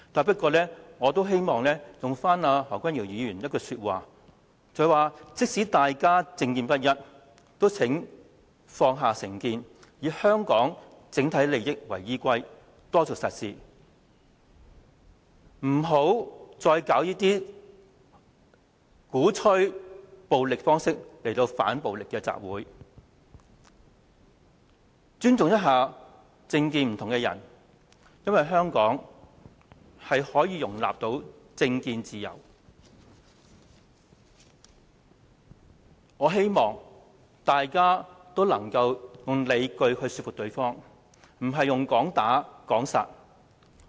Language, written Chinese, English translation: Cantonese, 不過，我希望引用何君堯議員的一句說話，他說即使大家政見不一，也請放下成見，以香港整體利益為依歸，多做實事，不要再以鼓吹暴力方式來搞這些"反暴力"的集會，要尊重政見不同的人，因為香港是可以容許市民有政見自由，我希望大家能夠用理據來說服對方，而不是"講打講殺"。, However I want to quote Dr HOs words here We should set aside prejudices and take a pragmatic approach to work in the overall interest of Hong Kong despite that our views on political affairs are divided . And so he should not organize any more of such so - called anti - violence rallies in a manner that advocates violence and have respect for people of different views on political affairs because Hong Kong citizens can enjoy freedom in forming their own political views . I wish that we can convince each other with reasons instead of threats of violence or death